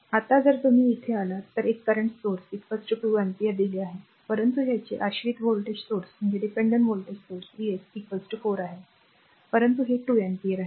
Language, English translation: Marathi, Now here if you come here a current source is given is equal to 2 ampere, but it dependent voltage source V s is equal to 4 is, but this is equal to 2 ampere